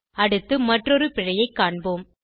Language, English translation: Tamil, lets next look at another error